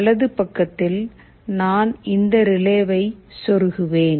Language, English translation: Tamil, On the right side I will simply plug in this relay